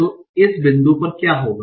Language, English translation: Hindi, So at this point what will happen